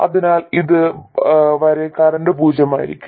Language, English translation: Malayalam, So the current will be 0 up to this point